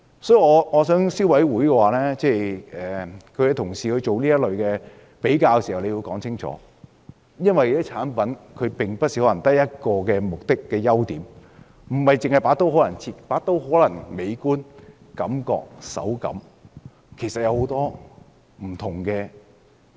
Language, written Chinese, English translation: Cantonese, 所以，我想消委會進行這類比較時要解釋清楚，因為有些產品可能不止一個目的或優點，例如某把刀可能既美觀，手感又好。, I hope that when the Council conducts this kind of comparisons it will also give clear explanations . This is because some products may have more than one function or strong point . For example a knife may look beautiful and feel good to the hand as well